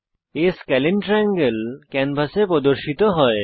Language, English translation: Bengali, Not a scalene triangle is displayed on the canvas